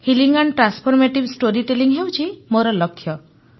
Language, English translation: Odia, 'Healing and transformative storytelling' is my goal